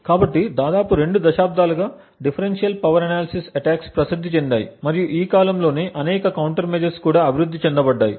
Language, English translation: Telugu, So differential power attacks have been known for almost two decades now and there have been several counter measures that have been developed over these years